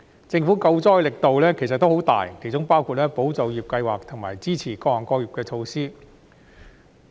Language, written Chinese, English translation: Cantonese, 政府救災的力度其實已十分大，其中包括"保就業"計劃和支持各行各業的措施。, In fact the Governments anti - epidemic efforts are of a great magnitude including the Employment Support Scheme and the measures to support various trades